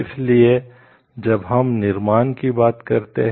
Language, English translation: Hindi, So, when we tell creation